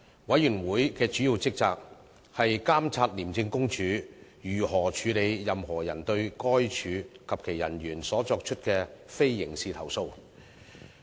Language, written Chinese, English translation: Cantonese, 委員會的主要職責，是監察廉政公署如何處理任何人對該署及其人員所作出的非刑事投訴。, The Committees major responsibility is to monitor the handling by the Independent Commission Against Corruption ICAC of non - criminal complaints lodged by anyone against ICAC and its officers